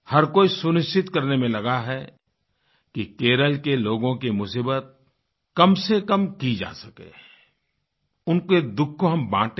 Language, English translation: Hindi, Everyone is trying to ensure speedy mitigation of the sufferings people in Kerala are going through, in fact sharing their pain